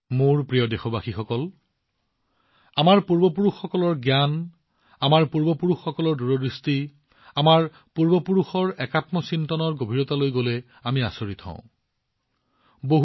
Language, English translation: Assamese, My dear countrymen, the knowledge of our forefathers, the farsightedness of our ancestors and the EkAtmaChintan, integral self realisation is so significant even today; when we go deep into it, we are filled with wonder